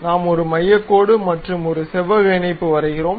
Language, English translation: Tamil, So, a centre line we have constructed, and a rectangular patch